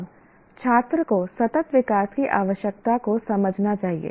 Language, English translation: Hindi, Now, students should understand the need for sustainable development